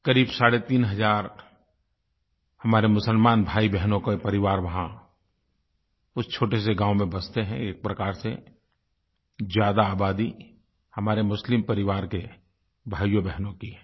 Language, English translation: Hindi, About three and a half thousand families of our Muslim brethren reside in that little village and in a way, form a majority of its population